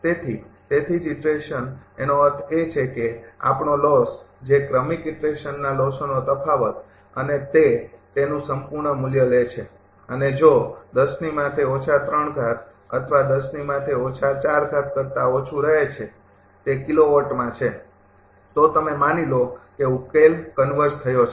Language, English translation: Gujarati, So, that is why iteration means that what we the loss was the difference of the loss in successive iteration and take their absolute value, and if it is less than said 10 to the power minus 3 or minus 4 in terms of kilowatts say, then you assume the solution has converged